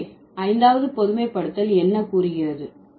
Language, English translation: Tamil, So, what does the fifth generalization says